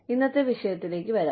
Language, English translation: Malayalam, Let us come to the topic, for today